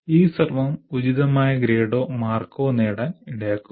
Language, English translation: Malayalam, So this effort will lead to getting the appropriate grade or marks